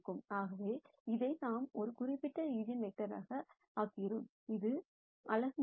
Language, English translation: Tamil, So, that way we make this a specific eigenvector which is unit length